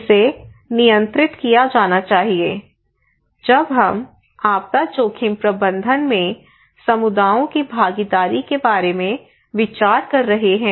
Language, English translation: Hindi, So this should be controlled, considered when we are considering about participation of communities in disaster risk management